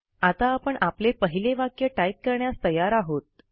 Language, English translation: Marathi, You are now ready to type your first statement